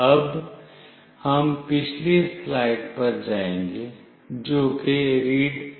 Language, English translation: Hindi, Now, we will go to the previous slide that is readsms